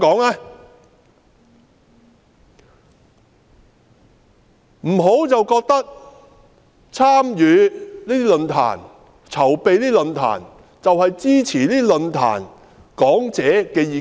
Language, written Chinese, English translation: Cantonese, 不要認為參與及籌辦論壇，便是支持論壇講者的意見。, One should not think that participating in and organizing the forum is tantamount to supporting the views of the speakers